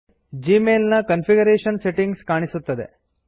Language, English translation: Kannada, The configuration settings for Gmail are displayed